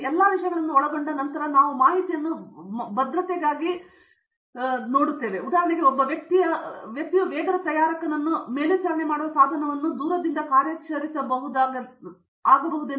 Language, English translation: Kannada, Then covering all these things is now what we call as the information security, for example, monitoring a pace maker of an individual is now done by a device which can be remotely operated